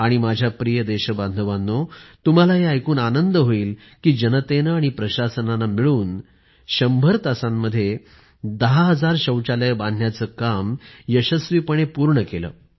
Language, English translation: Marathi, And my Dear Countrymen, you will be happy to learn that the administration and the people together did construct 10,000 toilets in hundred hours successfully